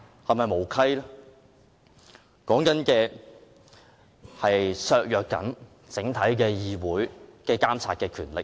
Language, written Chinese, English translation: Cantonese, 其目的是要削弱整體議會的監察權力。, The aim is to weaken the monitoring power of the entire Council